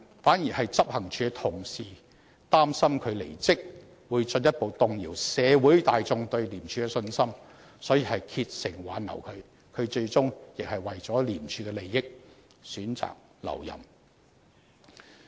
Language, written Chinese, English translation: Cantonese, 反而執行處的同事擔心他離職會進一步動搖社會大眾對廉署的信心，所以竭誠挽留他，他最終亦為了廉署的利益，選擇留任。, But then his colleagues in the Operations Department feared that his departure would further shake public confidence in ICAC so they asked him to stay . Eventually he chose to stay for the benefit of ICAC